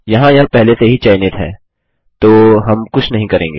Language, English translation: Hindi, Here it is already selected, so we will not do anything